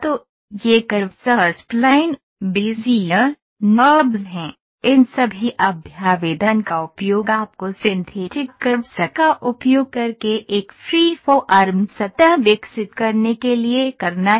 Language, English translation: Hindi, So, these curves are B spline, Bezier, NURBS, all these representations you have to use, for use for developing a free form surface using synthetic curves